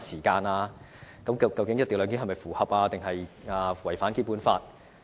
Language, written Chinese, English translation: Cantonese, 究竟"一地兩檢"是符合，還是違反《基本法》？, Is the co - location arrangement in line with or in contravention of the Basic Law?